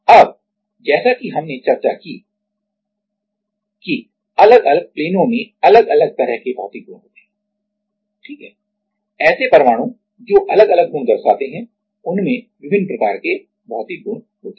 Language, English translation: Hindi, Now, as we discussed the different planes have different kind of material property right, the atoms represent in different property have different kind of material property